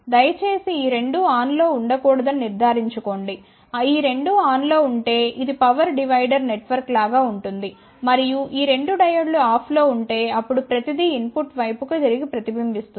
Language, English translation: Telugu, See please ensure that both of these should not be on if both of these two are on then this will be more like a power divider network and both of these diodes are off then everything will reflect back to the input side